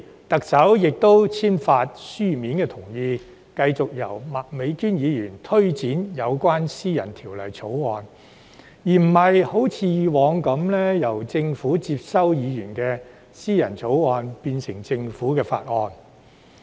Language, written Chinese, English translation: Cantonese, 特首並同時簽發書面同意，繼續由麥美娟議員推展提出私人條例草案的工作，而不像以往般由政府接收議員的立法建議，提出政府法案。, The Chief Executive has signed and given a written consent for proceeding with the introduction of this private bill by Ms Alice MAK instead of following the previous practice of including a legislative proposal put forward by a Member into the Governments Legislative Programme for the introduction of a Government bill